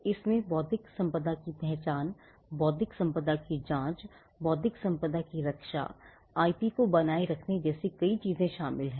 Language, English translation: Hindi, It includes many things like identifying intellectual property, screening intellectual property, protecting intellectual property, maintaining IP as well